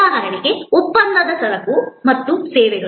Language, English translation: Kannada, For example, say the contractual goods and services